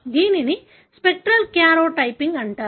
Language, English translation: Telugu, That is called as spectral karyotyping